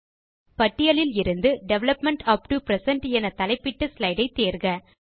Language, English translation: Tamil, Select the slide entitled Development upto present from the list